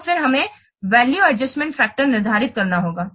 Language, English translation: Hindi, So then we have to determine the value adjustment factor